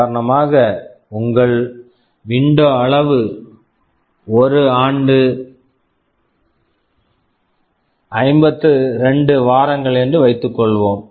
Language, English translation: Tamil, As an example, suppose your window size is I year = 52 weeks